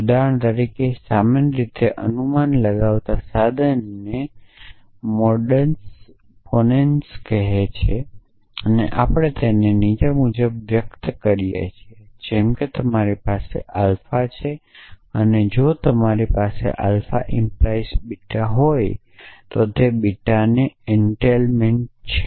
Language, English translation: Gujarati, For example, most commonly used tool of inference call modus ponens and we express it follows like if you have alpha and if you have alpha implies beta then entails beta